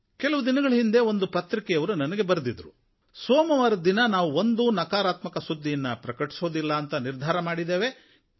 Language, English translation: Kannada, Some days back a newspaper had written a letter to me saying that they had decided that on Mondays they would not give any negative news but only positive news